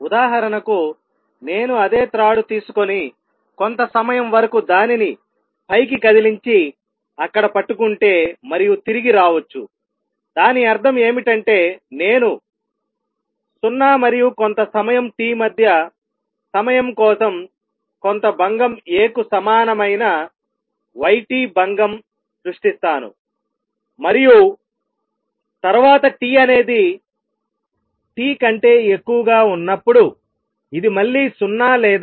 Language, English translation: Telugu, For example, I can take the same string and move it up for some time hold it there and then come back; that means, I create a disturbance y t as equal to some disturbance A for time between 0 and sometime t and then 0 again or t greater than T how would it look as a function of x and t